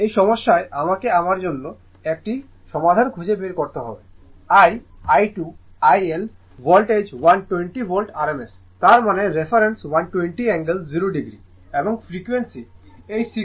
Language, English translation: Bengali, In this problem you have to find solve for I, I2, IL, voltage is 120 volt rms, that means you take the reference 120 angle 0 degree and frequency at this 60 hertz